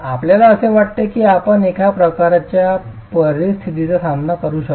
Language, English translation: Marathi, Do you think you can encounter that sort of a situation